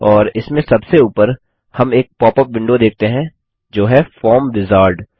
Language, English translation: Hindi, And on top of it we see a popup window, that says Form Wizard